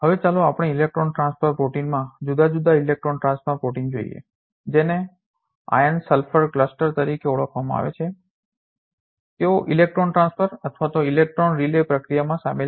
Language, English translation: Gujarati, Now, let us look at different electron transfer protein there are major metal units in electron transfer protein which are known as iron sulfur cluster, they are involved in electron transfer or electron relay process